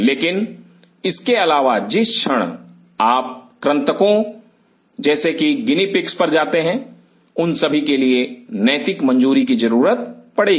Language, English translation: Hindi, But apart from it the very moment you move to the rodent’s guinea pigs they all need ethical clearances